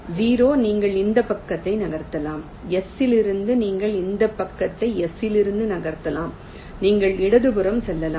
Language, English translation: Tamil, you can move this side from s you can move to the left